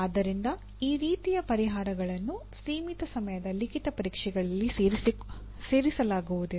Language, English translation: Kannada, So the designing solutions like this cannot be fitted into, cannot be included in limited time written examinations